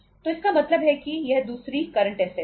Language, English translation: Hindi, So it means this is a second current assets